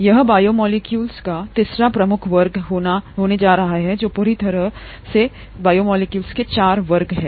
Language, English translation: Hindi, This is going to be a third major class of biomolecules, totally there are four